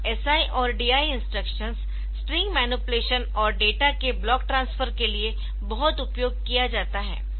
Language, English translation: Hindi, So, this SI and DI instruction they are very much used for string manipulation, and this block transfer of data